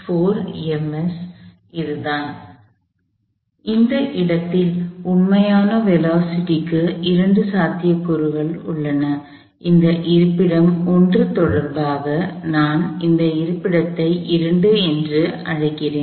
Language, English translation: Tamil, So, the two possibilities for the actual velocities at this location, I call this location 2 and relation to this being location 1